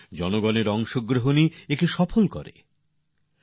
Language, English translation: Bengali, It is public participation that makes it successful